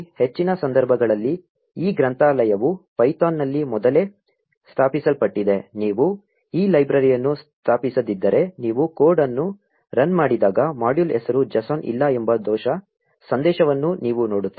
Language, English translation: Kannada, In most cases, this library comes preinstalled in python; if you do not have this library installed, you will see an error message saying no module name ‘json’ when you run the code